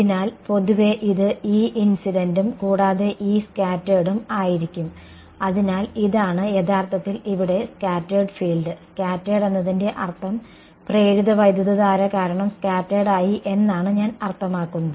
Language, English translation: Malayalam, So, in general this is going to be E incident plus E scattered right, so this is actually this scattered field over here; scattered means, scattered by the I mean due to the induced current